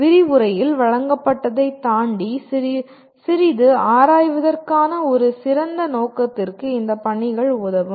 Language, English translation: Tamil, The assignments will serve a great purpose of exploring a little bit beyond what has been presented in the lecture